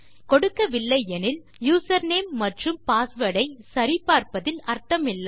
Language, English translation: Tamil, If they havent, there is no point in comparing the username to the password